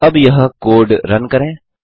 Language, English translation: Hindi, Lets now Run this code